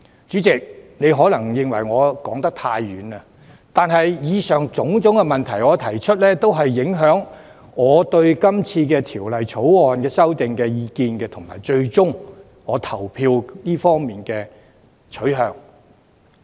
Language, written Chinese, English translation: Cantonese, 主席，你或會認為我說得太遠，但以上種種問題都影響我對《條例草案》的意見及最終的投票取向。, President you may find that I have gone far off topic but all of these questions affect my views on the Bill and my final voting preference